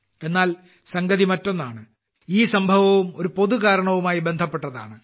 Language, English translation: Malayalam, But it's something different…, this event is also related to a 'common cause'